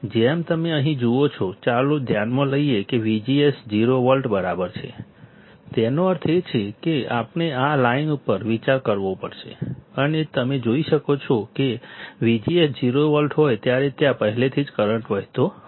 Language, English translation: Gujarati, As you see here let us consider V G S equals to 0 volt; that means, we have to consider this line and you see here there is a current already flowing right in case when V G S is 0 volt